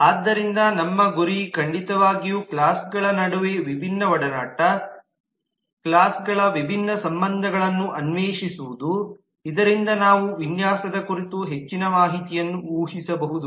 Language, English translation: Kannada, so our next target would certainly be to explore different association, different relationships amongst the classes within the classes so that we can infer more information about the design